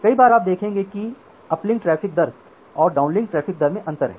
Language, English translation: Hindi, Many of the time you will see that there is a differentiation between the uplink traffic rate and a downlink traffic rate